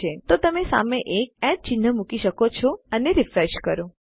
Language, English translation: Gujarati, So you can put a @ symbol in front and refresh